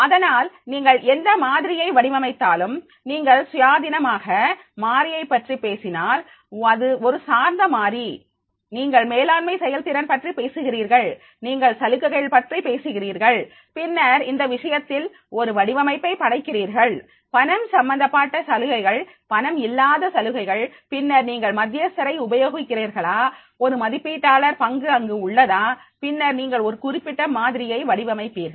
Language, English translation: Tamil, Suppose you are talking about the one independent variable, one dependent variable, you are talking about the managerial performance, you are talking about the incentives, then in that case you are creating a design, monetary incentives, non monetary incentives, then you are using the whether there is a mediator or moderator role is there and then you are coming out with a particular model that is a design